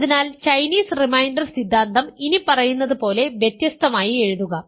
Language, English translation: Malayalam, So, write Chinese reminder theorem differently as follows